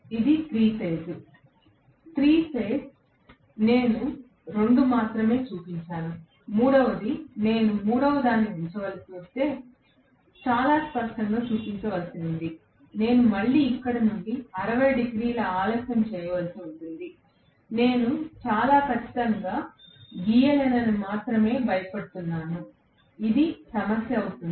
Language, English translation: Telugu, 3 phase I have only shown two, the third one, I have to show very clearly if I have to put the third one I have to again delay it by 60 degrees from here, I am only worried that I will not be able to draw it very accurately, it will be a problem